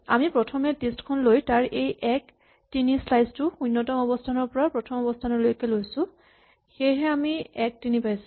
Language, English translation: Assamese, So what we did was, we took this list and then we first took its slice 1, 3 from 0 up to position 1 not 2 so I get 1, 3